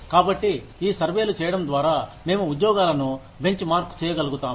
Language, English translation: Telugu, And so, by doing these surveys, we are able to, benchmark jobs